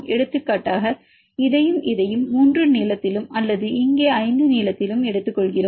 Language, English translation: Tamil, For example, we take this and this in the length of 3 or here to here in length of 5